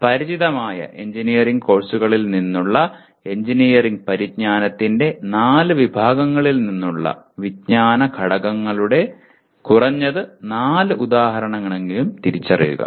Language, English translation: Malayalam, Identify at least four examples of knowledge elements from the four categories of engineering knowledge from the engineering courses you are familiar with